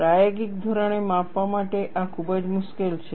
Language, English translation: Gujarati, This is a very difficult to measure experimentally